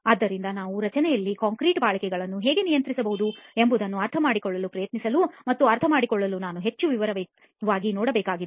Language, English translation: Kannada, So that is something which we have to look at in more detail to try and understand how we can control the durability of the concrete in the structure